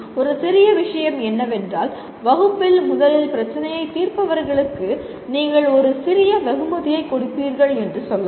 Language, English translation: Tamil, A trivial thing is you can say those who solve the problem first in the class can be rewarded by let us say you give a small reward